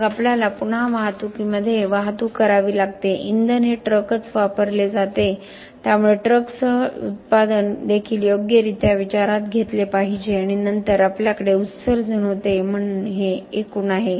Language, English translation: Marathi, Then we have to transport again in transportation fuel is used the truck itself is used so the truck the manufacturing with the truck also correctly should be taken into account and then we had emissions, so this is the aggregate